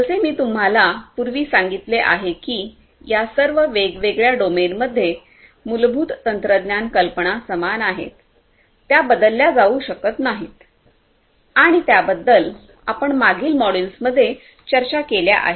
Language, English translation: Marathi, As I told you earlier as well that in all of these different application domains, the core technology, the core technological ideas remain the same; they cannot be changed and they are basically the ones that we have discussed in the previous modules